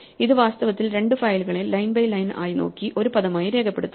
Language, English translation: Malayalam, So, this treats in fact, line by line two files as a word